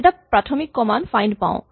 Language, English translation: Assamese, There is a basic command called find